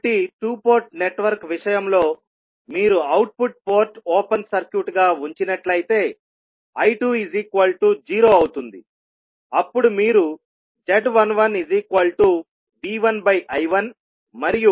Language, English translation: Telugu, So, in case of 2 port network if you keep output port open circuit means V2 is equal to 0, then you will get the value of Z11 as V1 upon I1 and Z21 is V2 upon I1